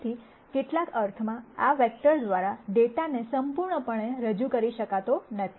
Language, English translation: Gujarati, So, in some sense the data cannot be completely represented by these vectors